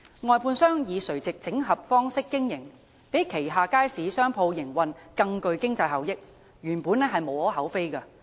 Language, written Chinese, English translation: Cantonese, 外判商以垂直整合方式經營，讓旗下街市商鋪營運更具經濟效益，原本無可厚非。, Basically there is nothing wrong for a contractor to adopt a vertical integration mode of business operation to achieve more cost - effective operation of commercial premises in its markets